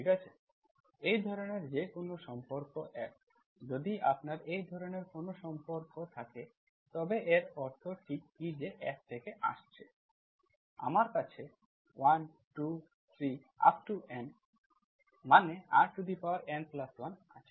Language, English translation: Bengali, Any relation, okay, any relation F like this, if you have a relation like this what exactly this means that is F is from, you have 1, 2, 3, to N, so R power N Plus1